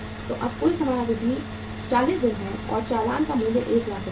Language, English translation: Hindi, So now the total time period is 40 days and invoice value is 1 lakh rupees